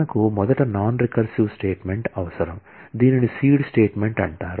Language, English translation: Telugu, We need first a non recursive statement, which is called the seed statement